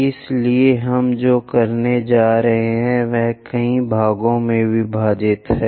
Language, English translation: Hindi, So, what we are going to do is divide into different number of parts